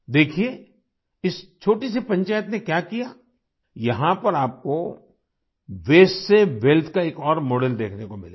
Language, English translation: Hindi, See what this small panchayat has done, here you will get to see another model of wealth from the Waste